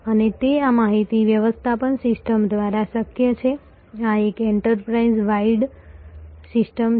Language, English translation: Gujarati, And that is possible by this information management system this is an enterprise wide system